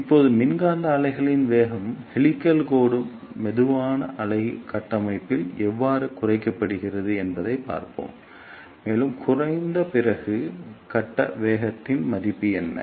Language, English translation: Tamil, Now, let us see how velocity of electromagnetic wave is reduced and helical line slow wave structure, and what is that value of phase velocity after decreasing